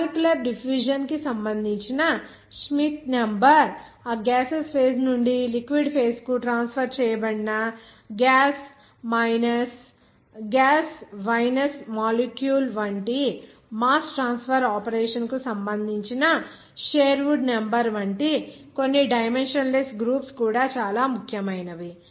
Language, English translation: Telugu, There also some dimensionless groups are very important like Schmidt number that is related to that molecular diffusion even Sherwood number that is mass transfer operation like gas vinous molecule transferred from gaseous phase to the liquid phase